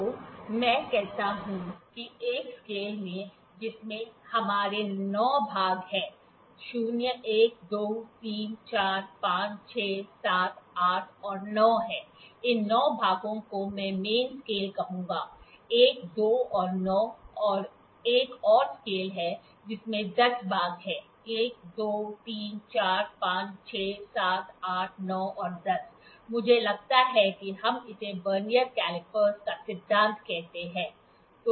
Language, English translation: Hindi, So, let me say there is a scale in which we have 9 divisions 0, 1, 2, 3, 4, 5, 6, 7, 8 and 9; these 9 divisions I will call it main scale, 1, 2 and 9 and there is another scale which has 10 divisions; 1, 2, 3, 4, 5, 6, 7, 8, 9 and 10, I think let us call it this is principle of Vernier caliper